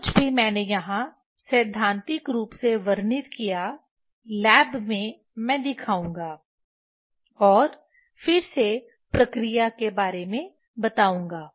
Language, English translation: Hindi, Whatever I described theoretically here, in lab I will show and again I will explain the operation